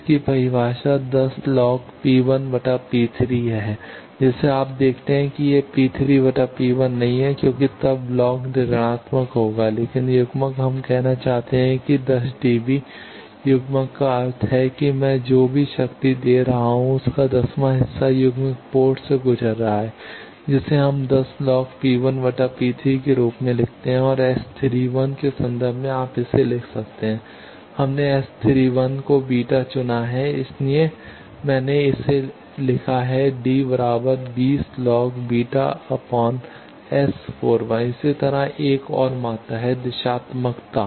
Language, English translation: Hindi, Its definition is 10 log P 1 by P 3 you see that remember it is not P 3 by P 1 because then the log will be negative, but coupling we want to say suppose 10 dB coupler that means, that out of whatever power I am giving one tenth is going through coupled port that we write as 10 log P 1 by P 3, and in terms of S 31 you can write it at we have chosen S 31 to be beta that is why I have written it as 10 20 log beta in dB